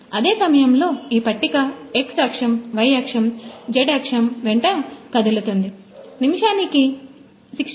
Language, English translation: Telugu, And on the same time this table can move along x axis, y axis, z axis 16 per minute to 1600 minute